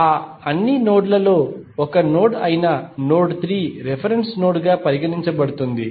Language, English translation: Telugu, Out of all those nodes one node is considered as a reference node that is node 3